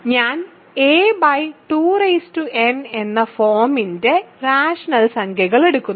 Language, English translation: Malayalam, So, I am taking a rational numbers of the form a by 2 power n